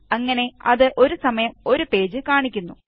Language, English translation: Malayalam, Thereby, it displays one page at a time